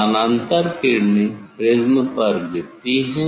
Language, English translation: Hindi, parallel ray will fall on the prism